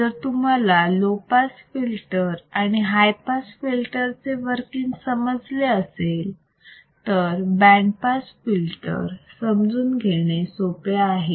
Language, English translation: Marathi, Very easy to understand band pass filter once you know how the low pass and high pass filter works